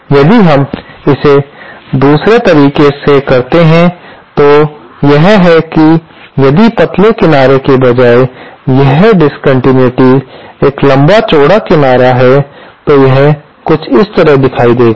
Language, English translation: Hindi, If we do it in the other way, that is if the discontinuity is a longer broader edge, rather than the thinner edge, then it will look something like this